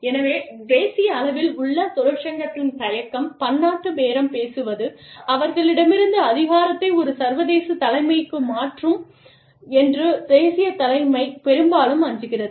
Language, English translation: Tamil, So, union reluctance at the national level, because the national leadership often fears that, multi national bargaining, will transfer power from them, to an international leadership